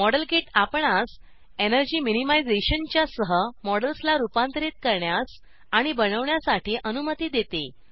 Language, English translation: Marathi, Modelkit allows us to build and modify models with energy minimization